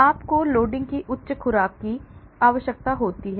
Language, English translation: Hindi, But you need require higher doses of loading